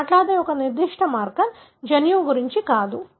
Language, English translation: Telugu, So, a particular marker we are talking about, not the gene